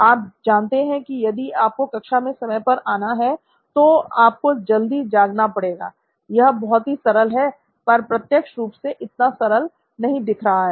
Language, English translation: Hindi, You know If you want to come on time in class, they should wake up early as simple as that but apparently not